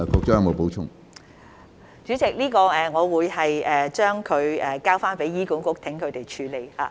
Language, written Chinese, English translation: Cantonese, 主席，我會將這個問題交由醫管局處理。, President I will have this issue handled by HA